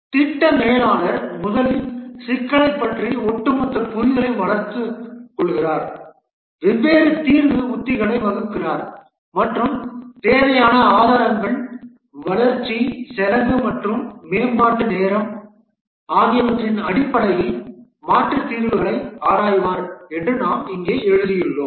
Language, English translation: Tamil, That's what we have just written down here that the project manager first develops an overall understanding of the problem, formulates the different solution strategies, and examines the alternate solutions in terms of the resource required cost of development and development time, and forms a cost benefit analysis